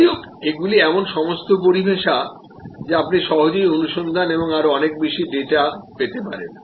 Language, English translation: Bengali, Anyway these are all terminologies that you can easily search and get much more data on